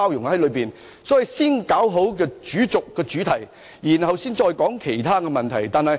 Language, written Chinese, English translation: Cantonese, 因此，我們需要先處理好主軸、主題，然後才討論其他問題。, Such being the case we must first deal with the main axis or main theme properly before discussing other issues